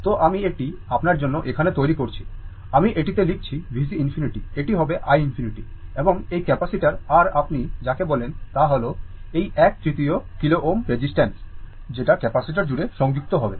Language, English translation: Bengali, So, I am making it here for you, I am writing on it V C infinity will be this is your i infinity and this capacitor and this ah your what you call is this one third kilo ohm resistance as will connected across the capacitor